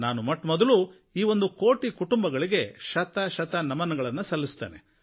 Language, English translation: Kannada, I would like to salute those one crore families